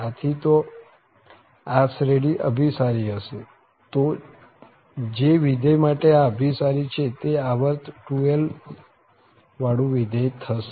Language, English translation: Gujarati, So, if this series converges then that function to whom this is converging that will be a 2l periodic function